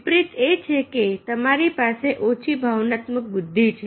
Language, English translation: Gujarati, just reverse is that you posses low emotional intelligence